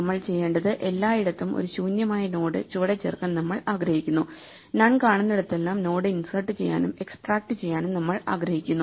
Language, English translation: Malayalam, So, we want to change this, what we want to do is to we want to insert below this an empty node at everywhere, where we see None, we want to insert and extract the node